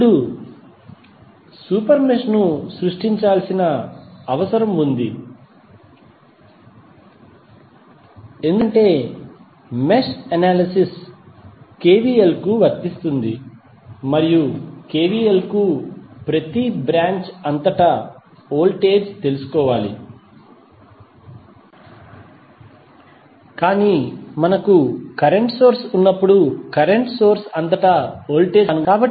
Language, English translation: Telugu, Now, super mesh is required to be created because mesh analysis applies to KVL and the KVL requires that we should know the voltage across each branch but when we have the current source we it is difficult to stabilized the voltage across the current source in advance